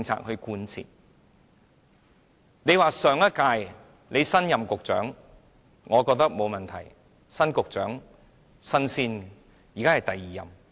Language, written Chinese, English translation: Cantonese, 如果你是新任局長，我覺得沒有問題，新局長，"新鮮人"。, It will be acceptable if you are a newly appointed Secretary and are thus fresh to the post